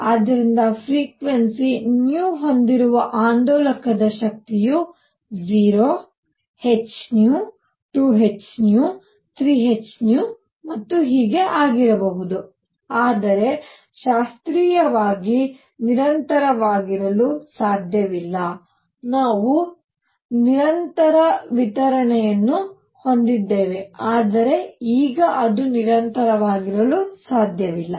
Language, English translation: Kannada, So, energy of an oscillator with frequency nu can be 0 h nu, 2 h nu, 3 h nu and so on, but cannot be continuous classically we had continuous distribution, but now it cannot be continuous